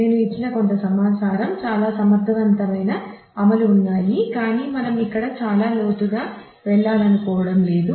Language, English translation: Telugu, And there are several efficient implementations some information I have given, but is we do not want to go in much depth here